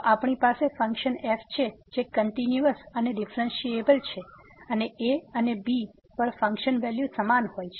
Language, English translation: Gujarati, So, we have a function which is continuous and differentiable and the function value at and both are equal